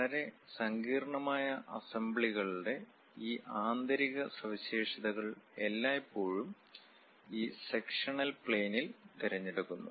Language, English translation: Malayalam, And these interior features of very complicated assemblies are always be preferred on this sectional planes